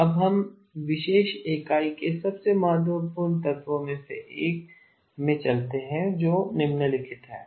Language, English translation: Hindi, Now we move into probably one of the most important elements of this particular unit which is the following